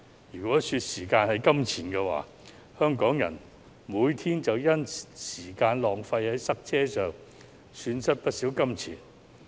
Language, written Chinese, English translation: Cantonese, 如果時間是金錢，香港人每天便因浪費時間在塞車之上而損失不少金錢。, If time is money Hong Kong people is losing a lot of money by wasting time on traffic congestion